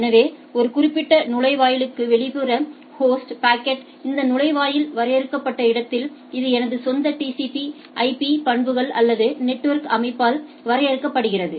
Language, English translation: Tamil, So, packet to the external host to a particular gateway, where this gateway is defined it is defined in my own TCP IP properties or the network setup